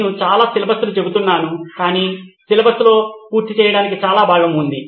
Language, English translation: Telugu, I am saying lot of syllabus but it’s lot of portion to cover in the syllabus